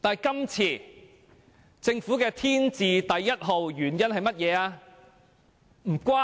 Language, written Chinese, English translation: Cantonese, 今次政府的"天字第一號"原因是甚麼呢？, This time what is the most important reason for the Government to move an adjournment motion?